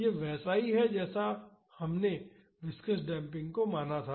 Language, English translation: Hindi, This is similar when we considered viscous damping also